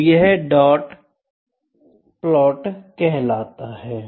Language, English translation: Hindi, So, this is dot plot